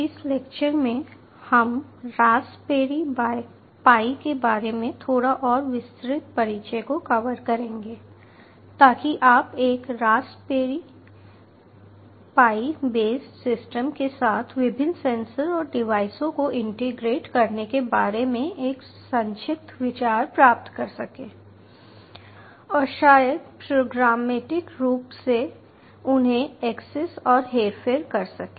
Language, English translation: Hindi, ah, so that you will get a concise idea about how you can go about integrating various sensors and devices with a raspberry pi base system and maybe programmatically access and manipulate them